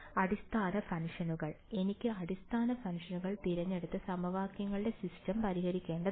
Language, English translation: Malayalam, Basis functions right, I have to choose the basis functions and solve the system of equations